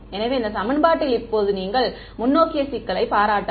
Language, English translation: Tamil, So, in this equation, now you can appreciate the forward problem